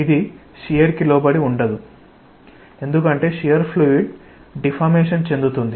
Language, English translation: Telugu, So, it is not subjected to shear, because with shear fluid will deform